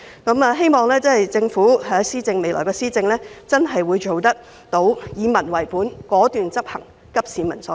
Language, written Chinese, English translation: Cantonese, 我希望政府未來的施政能夠真正做到以民為本、果斷執行和急市民所急。, I hope that the Government can really care about the people act decisively and address the pressing needs of the people in its future administration